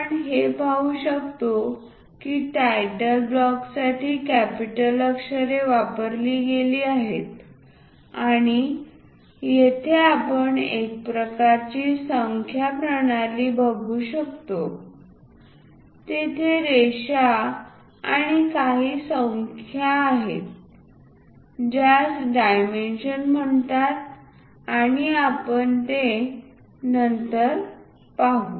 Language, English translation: Marathi, We can see that capital letters have been used for the title block and here we can see some kind of numbering kind of system, there are lines and some numbers these are called dimensions and we will see it later